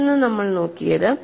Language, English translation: Malayalam, And another one what we have looked at